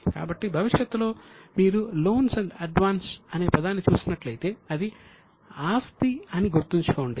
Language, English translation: Telugu, So in future if you see the word loan and advance, always keep in mind that it is an asset item